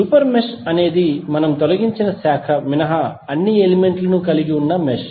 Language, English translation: Telugu, Super mesh would be the mesh having all the elements except the branch which we have removed